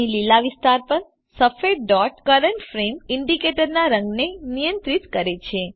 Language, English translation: Gujarati, The white dot here over the green area controls the colour of the current frame indicator